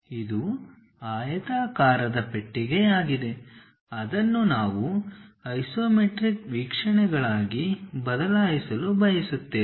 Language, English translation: Kannada, This is the rectangular box, what we would like to really change it into isometric views